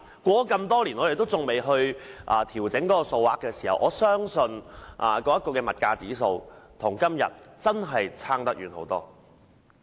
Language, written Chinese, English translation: Cantonese, 事隔多年也沒有調整有關金額，我相信當時的物價指數與現在相差甚大。, The amount has not been adjusted for so many years and I trust that the Consumer Price Index should be quite different from that back then